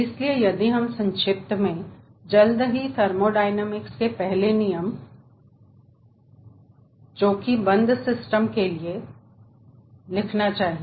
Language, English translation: Hindi, first let us write first law of thermodynamics for closed system